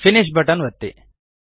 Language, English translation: Kannada, Hit the Finish button